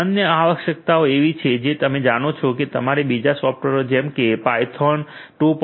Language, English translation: Gujarati, The other requirements are like you know you need to install a few software Python 2